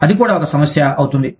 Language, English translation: Telugu, That also, becomes an issue